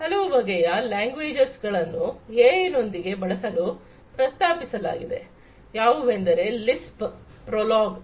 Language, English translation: Kannada, There have been different languages that have been proposed for use with AI like Lisp, PROLOG, etcetera